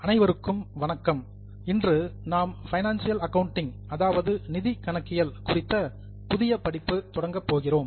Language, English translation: Tamil, Today we are going to start a new course on financial accounting